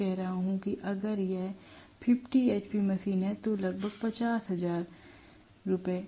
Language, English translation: Hindi, I am rather saying if it is 50 hp machine, roughly it is Rs